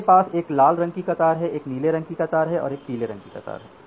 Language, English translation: Hindi, So, say this is a red queue, I have a blue queue and I have a say yellow queue